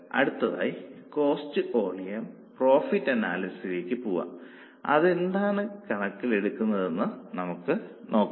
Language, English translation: Malayalam, Now going to cost volume profit analysis, let us understand what does it take into account